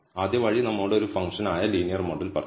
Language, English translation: Malayalam, The first way tells us linear model which is a function